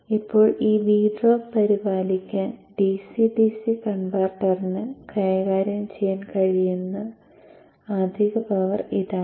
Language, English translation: Malayalam, Now this is the excess power that the DCDC converter should be capable of handling to take care of this V drop there